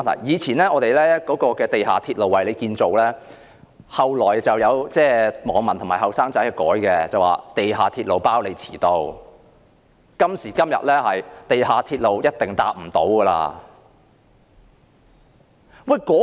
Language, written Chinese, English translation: Cantonese, 以往的口號是"地下鐵路為你建造"，後來有網民及年青人將之改為"地下鐵路包你遲到"，到今時今日更改為"地下鐵路一定搭唔到"。, In the past they chanted the slogan of MTR―A Railway For You but later on some young people rewrote it MTR―a guarantee for being late . Today some people even changed it to MTR―a guarantee for failure to get on